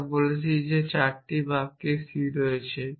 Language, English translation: Bengali, We have saying that these 4 sentence entail c